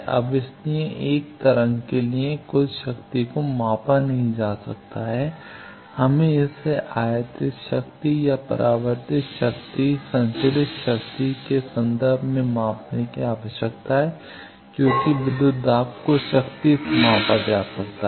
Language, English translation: Hindi, Now, that is why total power cannot be measured for a wave, we need to measure it in terms of either incident power or reflected power transmitted power as voltage is measured from power